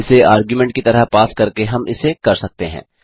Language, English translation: Hindi, This is achieved by passing that as an argument